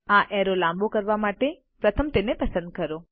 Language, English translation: Gujarati, To make this arrow longer, first select it